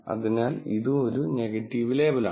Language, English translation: Malayalam, So, this is also a negative label